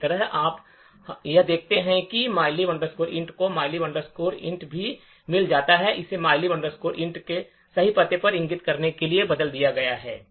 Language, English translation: Hindi, Similarly, you could also check that the mylib int in this get mylib int is also replaced to point to the correct address of mylib int